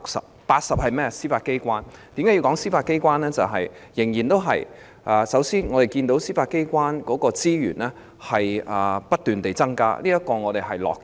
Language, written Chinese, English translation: Cantonese, 總目80是司法機構，我要談論司法機構的原因是，首先，我們看到司法機構的資源不斷增加，這是我們樂見的。, Head 80 is the Judiciary . The reason why I wish to talk about the Judiciary is to begin with we have seen continuous increases in the resources for the Judiciary . We are pleased to see this